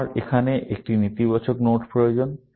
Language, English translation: Bengali, I need this negation node here